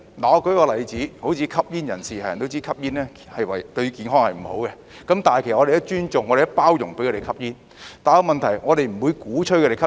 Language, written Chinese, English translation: Cantonese, 我舉個例子，正如吸煙人士，人人都知道吸煙對健康不好，但我們也尊重和包容他們吸煙，但問題是我們不會鼓吹吸煙。, Let us take smokers as an example . Everyone knows that smoking is bad for health . Nevertheless we respect and tolerate smokers without advocating smoking